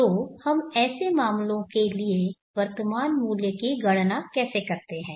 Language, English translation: Hindi, So how do we calculate the present words for such cases